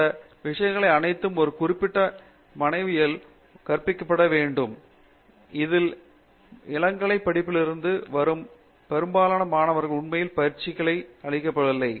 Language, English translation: Tamil, All these things has to be inculcated in a particular student, which most of the students who come from the undergraduate education are not really trained on that